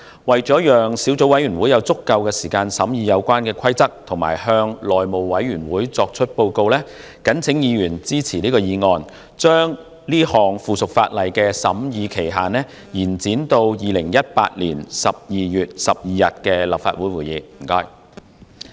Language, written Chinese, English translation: Cantonese, 為了讓小組委員會有足夠時間審議《規則》及向內務委員會作出報告，謹請議員支持議案，將該項附屬法例的審議期限延展至2018年12月12日的立法會會議。, To allow the Subcommittee sufficient time to scrutinize the Rules and to report to the House Committee I call upon Members to support the motion to extend the scrutiny period of the subsidiary legislation to the Legislative Council meeting of 12 December 2018